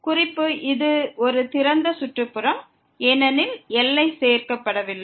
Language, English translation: Tamil, Note that this is a open neighborhood because the boundary is not included